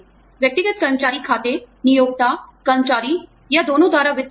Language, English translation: Hindi, Individual employee accounts, funded by the employer, the employee, or both